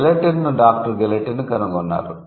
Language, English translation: Telugu, So, Gilotin was invented by Dr